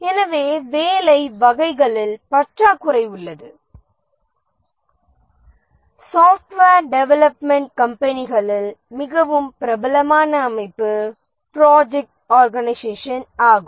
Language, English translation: Tamil, Possibly the most popular organization in software development companies is the project organization